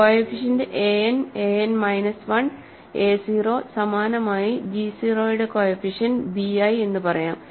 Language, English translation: Malayalam, So, the coefficients are a n, a n minus 1, a 0, similarly coefficients of g 0 or let us say b i